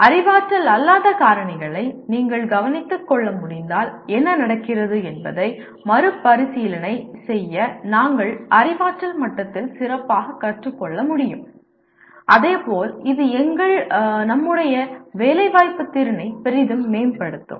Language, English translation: Tamil, To restate what happens if you are able to take care for non cognitive factors we may be able to learn better at cognitive level as well as it will greatly enhance our employment potential